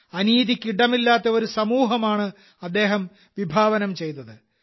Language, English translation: Malayalam, He envisioned a society where there was no room for injustice